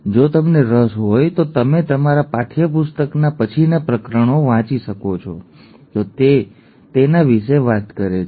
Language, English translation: Gujarati, If you are interested you can go and read later chapters of your textbook, it does talk about that